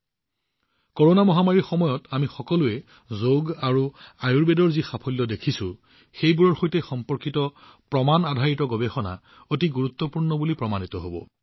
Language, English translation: Assamese, The way we all are seeing the power of Yoga and Ayurveda in this time of the Corona global pandemic, evidencebased research related to these will prove to be very significant